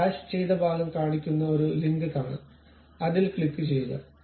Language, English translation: Malayalam, See there is a link which shows that hashed kind of portion, click that